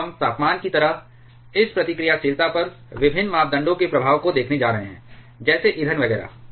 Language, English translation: Hindi, Now we are going to see the effect of different parameters on this reactivity like the temperature, like the fuel burn up etcetera